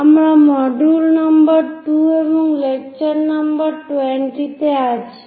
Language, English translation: Bengali, We are in module number 2 and lecture number 20